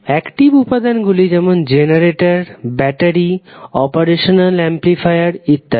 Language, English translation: Bengali, Active elements are like generators, batteries, operational amplifiers